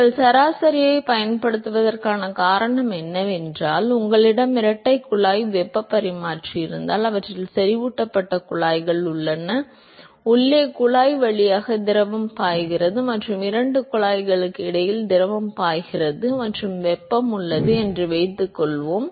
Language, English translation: Tamil, The reason why you would use the average is what you can measure, supposing, if you have a double pipe heat exchanger they have concentric pipes, there is fluid flowing through the inside pipe and there is fluid flowing between the two pipes and there is heat exchange between them